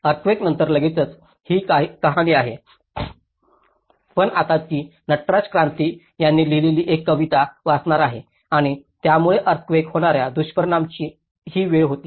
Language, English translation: Marathi, So, this is the story of immediately after the earthquake but now I will just read out a poem which has been written by Natraj Kranthi and it was at the moment of the earthquake impacts